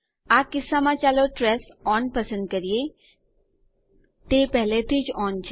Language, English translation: Gujarati, In this case let us select the trace on, its already on